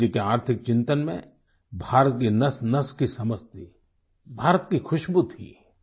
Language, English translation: Hindi, Gandhiji's economic vision understood the pulse of the country and had the fragrance of India in them